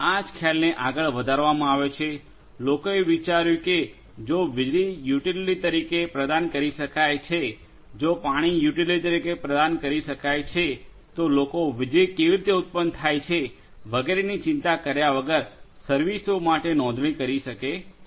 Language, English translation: Gujarati, The same concept was extended further, people thought that if electricity can be offered as utility, if water can be offered as utility and people can subscribe to this services without worrying how to generate electricity and so on